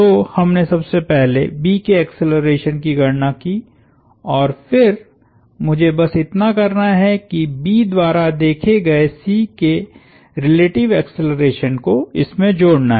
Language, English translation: Hindi, So, the first thing we did is compute the acceleration of B and then all I need to do is add the relative acceleration of C as observed by B